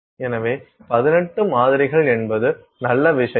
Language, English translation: Tamil, So, 18 samples so, that is the nice thing